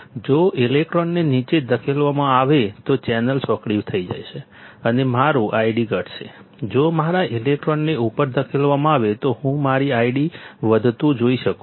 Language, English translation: Gujarati, If electrons are pushed down, the channel will be narrowed and my I D will be decreasing, if my electrons are pushed up I can see my I D increasing